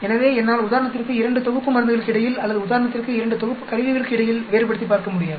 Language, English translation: Tamil, So, I will not be able to differentiate between 2 sets of drugs for example or 2 sets of a instruments for example